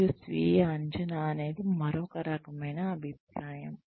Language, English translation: Telugu, And, self appraisal is, another type of feedback